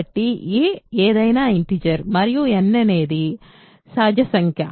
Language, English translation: Telugu, So, a is any integer and n is a natural number